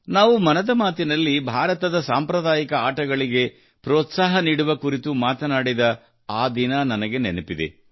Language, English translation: Kannada, I remember the day when we talked about encouraging traditional sports of India in 'Mann Ki Baat'